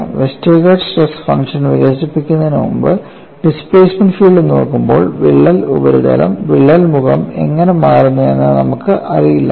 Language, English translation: Malayalam, Before developing the Westergaard stress function and looking at the displacement field, we had no knowledge how the the crack face would displace